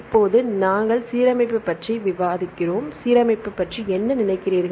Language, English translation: Tamil, Now we discuss about the alignment, what do you think about alignment